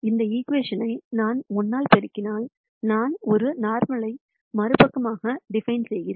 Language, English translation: Tamil, If I simply multiply this equation by minus 1, then I am defining a normal to the other side